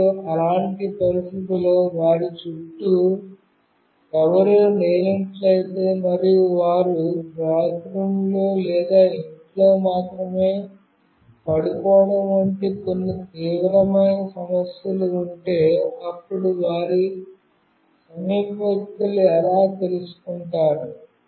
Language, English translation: Telugu, And under such condition, if nobody is around them and there is some serious issue like they fall down in bathroom or in house only, then how do their near ones will come to know